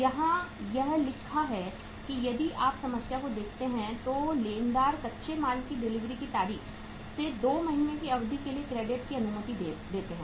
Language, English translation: Hindi, Uh it is written here that say if you look at the problem, creditors allow credit for a period of 2 months from the date of delivery of raw materials